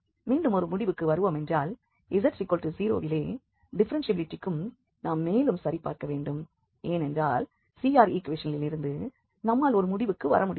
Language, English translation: Tamil, So, here just to conclude again for differentiability at z equal to 0 we need to check because we cannot conclude from the CR equations